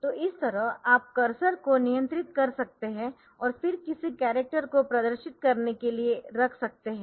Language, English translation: Hindi, So, this way you can you can control the cursor and then put a character to be displayed